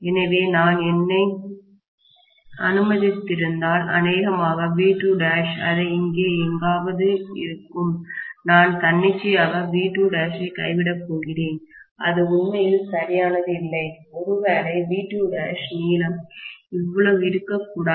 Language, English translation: Tamil, So, if I have, you know let me say probably V2 dash it somewhere here, I am just going to arbitrarily drop V2 dash, it is not really exactly correct, maybe this is V2 dash, the length should not be so much, right